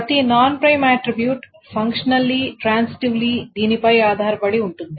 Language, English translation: Telugu, So, every non prime attribute is functionally transitively dependent on this